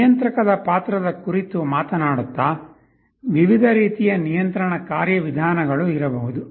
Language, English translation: Kannada, Talking of the role of controller, there can be various different types of control mechanisms